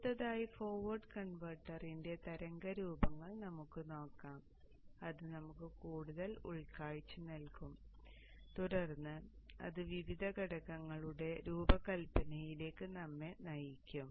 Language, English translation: Malayalam, Next let us look at the waveforms of the forward converter which will give us more insight and then which will lead us to the design of the various components